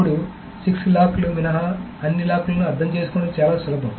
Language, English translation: Telugu, Now, it is probably easier to understand all those locks except the six locks